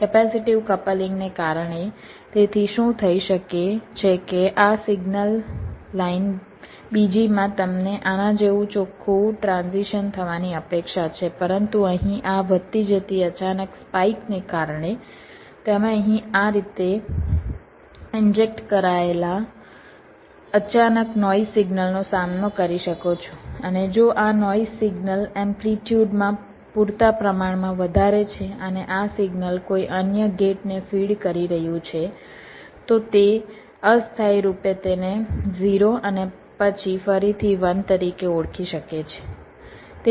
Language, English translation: Gujarati, so what might happen is that in this signal line, second one, your expectative, have a clean transition like this, but because of this rising, sudden spike here you can encounter a sudden noise signal injected here like this: and if this noise signal is sufficiently high in amplitude and this signal is feeding some other gate, so it might temporarily recognize it as a zero, and then again one like that, so that might lead to a timing error and some error in calculation